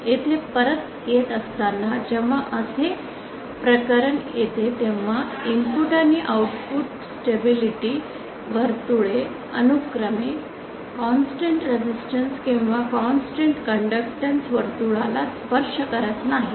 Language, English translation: Marathi, So coming back here when we have a case like this where input and output stability circle do not touch a constant resistance or constant conductance circle respectively